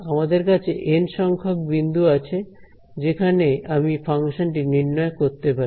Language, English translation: Bengali, We have N points at which I have a possibility of evaluating my function ok